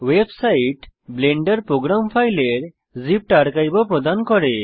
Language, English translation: Bengali, The website also provides a zipped archive of the Blender program files